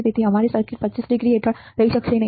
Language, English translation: Gujarati, So, our circuit under 25 degree may not remain